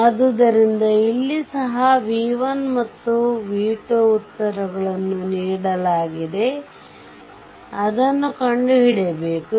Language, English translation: Kannada, So, here also v 1 and v 2 you have to find out right answers are given